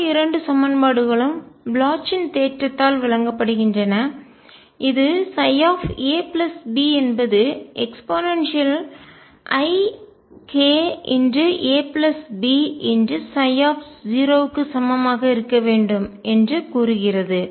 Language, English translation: Tamil, The other two equations are provided by the Bloch’s theorem which says that psi a plus b should be equal to e raised to i k a plus b psi at 0